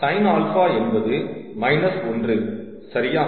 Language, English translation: Tamil, so sin alpha is minus one, correct